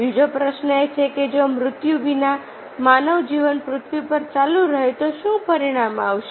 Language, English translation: Gujarati, another question: what would be the result if human life continued on earth without death